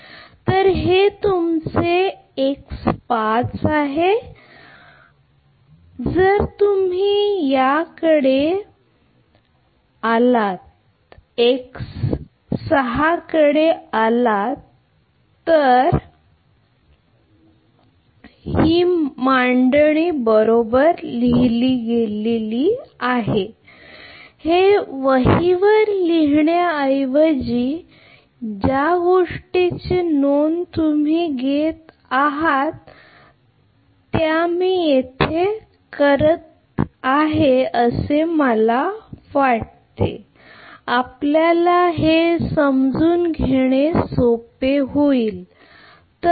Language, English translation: Marathi, So, this is your x 5 then if you come to x 6 this one this one if you come right then just it will be like this rather than the writing on the notebook you are making note of this thing I thought I i will make it here such that it will be easy for you to understand right